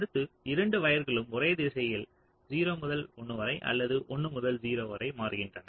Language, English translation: Tamil, next case: both the wires are switching and in the same direction: zero to one or both one to zero